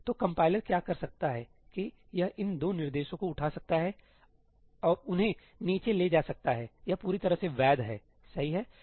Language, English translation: Hindi, So, what the compiler may do is that it may pick up these 2 instructions and move them down that is perfectly valid, right